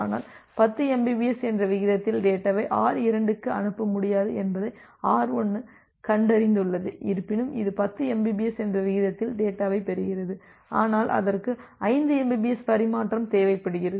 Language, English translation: Tamil, But then R1 finds out that it will not be able to send the data to R2 at a rate of 10 mbps, although it is receiving the data at a rate of 10 mbps, but it requires 5 mbps of transmission